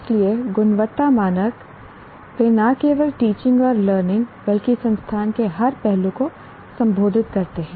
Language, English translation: Hindi, So, quality standards they address not only the teaching and learning but also every facet of the institute